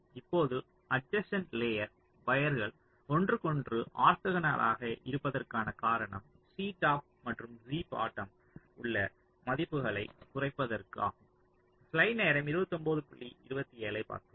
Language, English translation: Tamil, the reason why adjacent layer wires are orthogonal to each other is to reduce the values of c top and c bottom